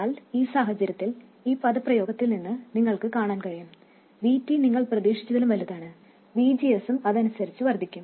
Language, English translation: Malayalam, But in this case, you can see from this expression, if VT is larger than you expected, VGS also would increase correspondingly